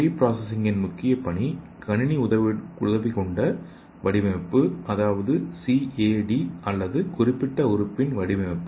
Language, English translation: Tamil, So here the pre processing primarily deals with the development of computer aided design that is CAD or blue print of a specific organ